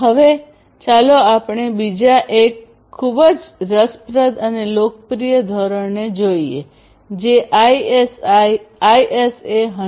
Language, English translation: Gujarati, Now, let us look at another very interesting and popular standard which is known as the ISA 100